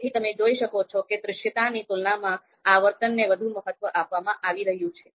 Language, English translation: Gujarati, So you can see frequency is being given more importance you know in comparison with visibility